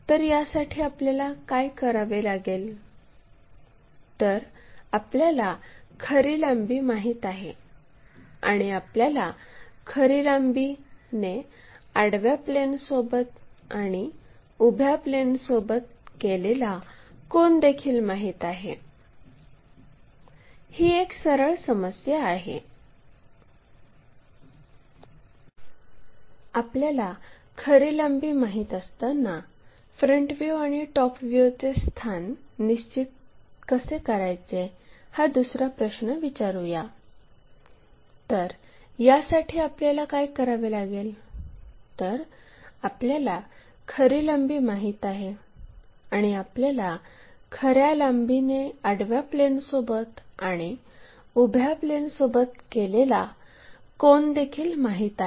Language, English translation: Marathi, So, for that purpose what we have to do, we know the true length and we know the inclination angle made by the true length with vertical plane and also horizontal plane